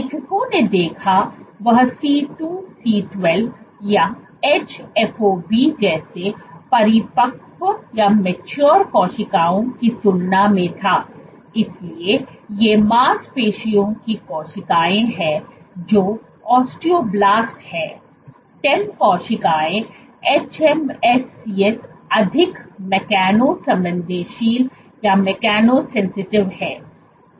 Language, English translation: Hindi, What the authors also observed was in comparison to mature cells like C2C12 or hFOB, so these are muscle cells these are osteoblast, stem cells hMSCs are much more mechano sensitive